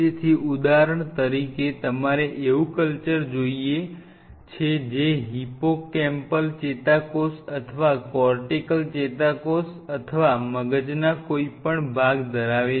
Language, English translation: Gujarati, So, for example, you want culture they have hippocampal neuron or cortical neuron or any part of the brain